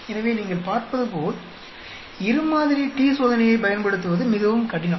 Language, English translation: Tamil, So, as you can see, it is very difficult to use two sample T test